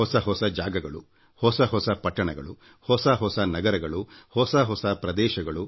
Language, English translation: Kannada, New places, new cities, new towns, new villages, new areas